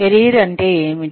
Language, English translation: Telugu, What is a career